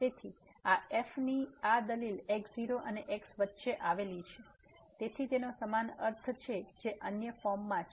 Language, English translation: Gujarati, So, this argument of this lies between and , so it has the same similar meaning what the other form has